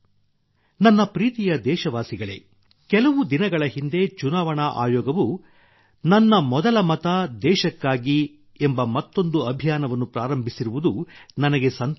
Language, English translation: Kannada, My dear countrymen, I am happy that just a few days ago the Election Commission has started another campaign 'Mera Pehla Vote Desh Ke Liye'